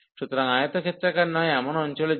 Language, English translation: Bengali, So, for non rectangular regions